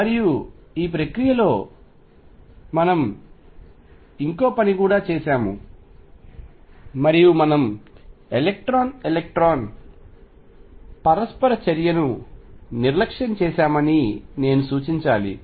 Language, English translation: Telugu, And this process we have also done one more thing and I must point that we have neglected the electron electron interaction